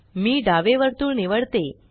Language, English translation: Marathi, Let me choose the left circle